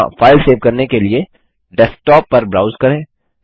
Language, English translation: Hindi, Browse to the Desktop to save the file there